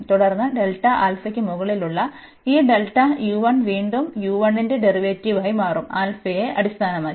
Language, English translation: Malayalam, And then this delta u 1 over delta alpha will become the derivative again of u 1 with respect to alpha